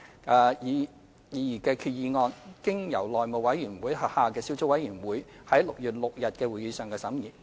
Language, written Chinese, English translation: Cantonese, 這項擬議決議案經內務委員會轄下的小組委員會於6月6日的會議上審議。, This proposed resolution was scrutinized by a subcommittee formed under the House Committee at a meeting held on 6 June